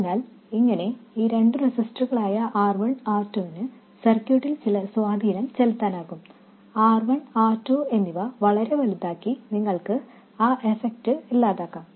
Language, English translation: Malayalam, So that way although these two resistors R1 and R2 have some effect on the circuit you can ignore that effect by making R1 and R2 very large and there is no other harm done by making R1 and R2 very large